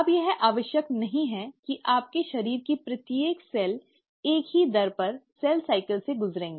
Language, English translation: Hindi, Now, it's not necessary that each and every cell of your body will undergo cell cycle at the same rate